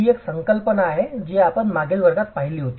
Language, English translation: Marathi, So, this is a concept that we did see in the previous class